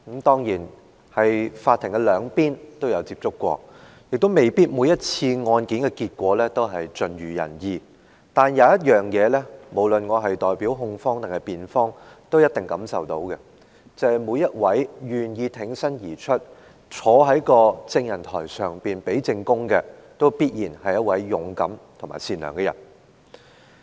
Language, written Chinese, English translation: Cantonese, 當然，法庭上的控辯兩方我都代表過，而每宗案件的結果亦未必盡如人意，但是，無論代表控方或辯方，我都能感受到的一點，就是每位願意挺身而出，坐在證人台上作供的，都必然是勇敢和善良的人。, Certainly I have acted for the prosecution as well as the defence in court and not every case has turned out as desired . No matter which side I represent however I can always find one thing in common all those who are willing to come forward to testify on the witness stand are definitely courageous and good - natured